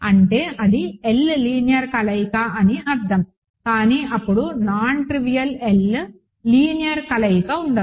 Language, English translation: Telugu, So, that means, that is an L linear combination, but then there cannot be a non trivial L linear combination